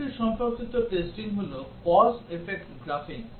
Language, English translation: Bengali, Another related combinatorial testing is the cause effect graphing